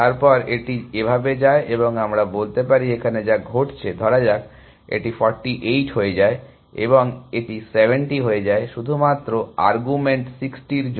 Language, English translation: Bengali, Then it goes like this and let us says this is what is happening, let say this becomes 48 and this becomes 70 just for arguments 60